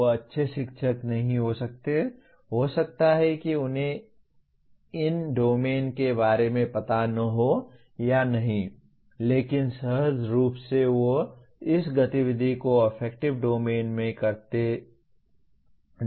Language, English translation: Hindi, They may not be a good teacher, may or may not be aware of these domains and so on but intuitively they seem to be performing this activity in the affective domain